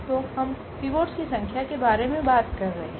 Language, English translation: Hindi, So, we are talking about the number of pivots